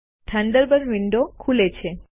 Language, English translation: Gujarati, Thunderbird window opens